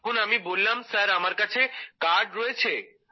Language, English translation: Bengali, Then I said sir, I have it with me